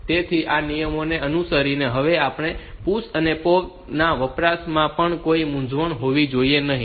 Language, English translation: Gujarati, So, following these rules, there should not be any confusion with PUSH and POP usages also